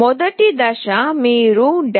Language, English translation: Telugu, First step is you have to go to developer